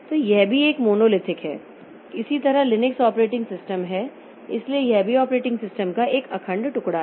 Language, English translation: Hindi, Similarly, Linux operating system, so that is also a monolithic piece of operating system